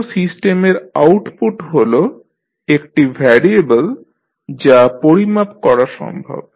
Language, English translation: Bengali, An output of a system is a variable that can be measured